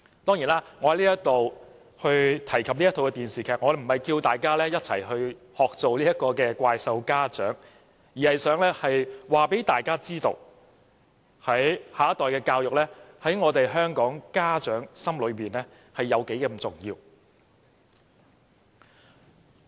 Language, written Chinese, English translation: Cantonese, 當然，我提及這齣電視劇，並非鼓勵大家學做"怪獸家長"，而是想告訴大家，下一代的教育在香港的家長心中有多重要。, Of course I talk about this drama not because I want to encourage you to be monster parents . I just want to highlight the great importance attached by Hong Kong parents towards their childrens education